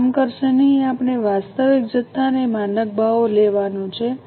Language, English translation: Gujarati, We have to take actual quantity and standard prices